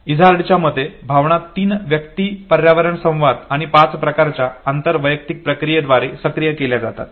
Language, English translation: Marathi, According to Izard, is motion is activated by 3% environment interaction and five types of intra individual processes